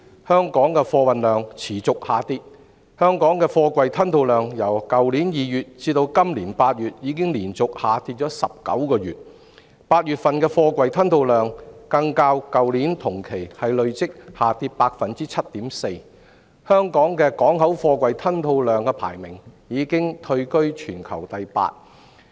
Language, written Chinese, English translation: Cantonese, 香港的貨運量持續下跌，貨櫃吞吐量由去年2月至今年8月已連續下跌19個月 ，8 月份的貨櫃吞吐量更較去年同期累跌 7.4%， 香港的港口貨櫃吞吐量排名已退居至全球第八位。, The freight volume of Hong Kong continues to shrink . The container throughput in August this year plunged 7.4 % against the same period last year representing a 19 consecutive month of decline since February last year and relegating Hong Kong to the eighth place in the global ranking of port container throughput